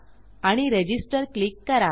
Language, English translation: Marathi, And I will click Register